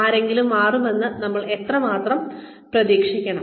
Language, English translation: Malayalam, How much, we need to expect, somebody to change